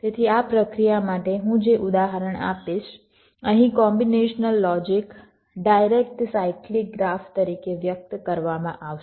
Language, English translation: Gujarati, so the illustration that i shall be giving for this process here, the combination logic, will be expressed as a direct ah cyclic graph